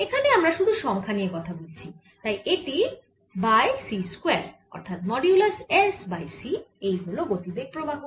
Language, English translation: Bengali, we're just talking about the numbers divided by c square, or mod s over c